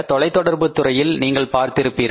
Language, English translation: Tamil, For example you have seen in the telecom sector